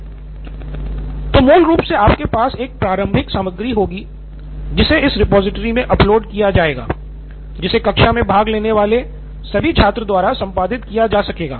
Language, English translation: Hindi, So basically you will have an initial content that is being uploaded into this repository which can be edited by all the students participating in the class